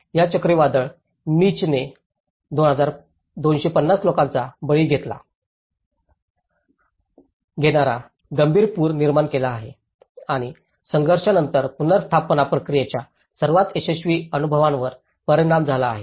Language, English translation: Marathi, This hurricane Mitch has produced the serious floods killing 250 people and affecting the most successful experiences of the post conflict reintegration process